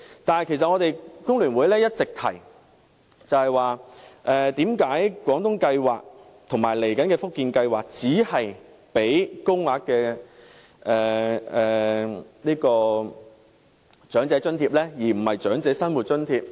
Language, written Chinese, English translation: Cantonese, 但其實工聯會一直也質疑為何廣東計劃和接下來的福建計劃只提供高齡津貼，而非較高額的長者生活津貼呢？, But in fact FTU has long been questioning why the Guangdong Scheme and the subsequent Fujian Scheme will only provide the Old Age Allowance instead of the Higher Old Age Living Allowance